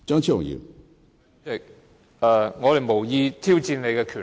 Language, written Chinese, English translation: Cantonese, 主席，我們無意挑戰你的權力。, President we have no intention of challenging your authority